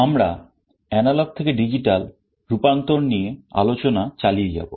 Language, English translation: Bengali, We continue with the discussion on Analog to Digital Conversion